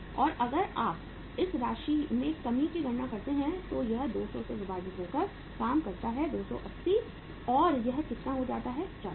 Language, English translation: Hindi, And if you calculate this reduction in this amount so this works out as 200 divided by how much 280 and this becomes how much, 40